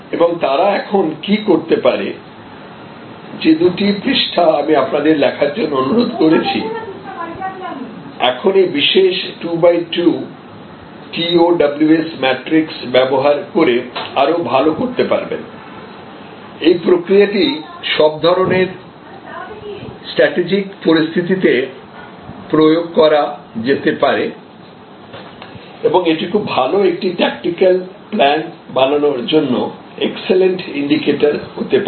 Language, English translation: Bengali, And what can they do now that, those two pages that I requested you to fill up as your assignment you can now do better by using this particular 2 by 2 matrix the TOWS matrix it is process can be applied to most strategic situations and can also give us excellent indicators for developing for a good tactical plan